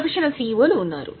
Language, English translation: Telugu, There are professional CEOs